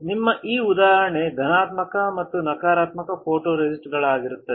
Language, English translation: Kannada, So, this is the example of your positive and negative photoresist